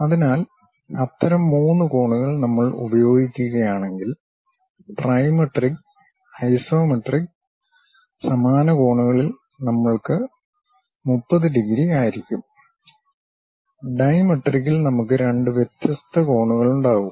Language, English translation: Malayalam, So, such kind of three angles if we use, trimetric; in isometric same kind of angles we will have 30 degrees same, in dimetric we will have two different angles